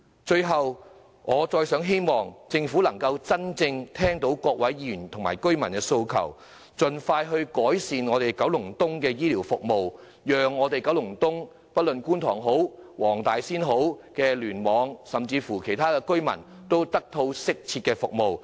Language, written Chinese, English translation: Cantonese, 最後，我希望政府真正聽到各位議員及居民的訴求，盡快改善九龍東的醫療服務，讓九龍東——不論是觀塘或黃大仙區，甚至其他區——的居民均能得到適切的醫療服務。, And really lastly I hope the Government can truly listen to the aspirations of Members and residents and expeditiously improve the healthcare services in Kowloon East to enable the residents there―including Kwun Tong Wong Tai Sin and even other districts―access to appropriate healthcare services